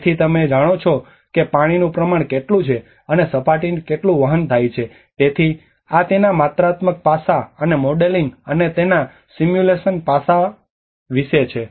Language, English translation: Gujarati, So you know so how much water volume of water and how much surface runoff is carried out, so this is all about the quantitative aspect of it and the modeling and the simulation aspect of it